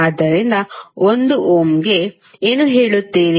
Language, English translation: Kannada, So for 1 Ohm, what you will say